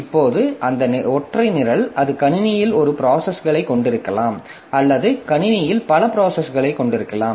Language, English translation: Tamil, Now, that single program, it can have a single process in the system or it can have multiple processes in the system